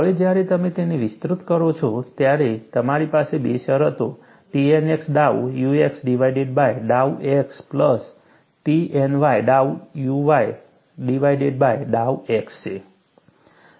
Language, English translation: Gujarati, Now, when you expand it, I have two terms; T n x dow u x divided by dow x plus T n y dow u y divided by dow x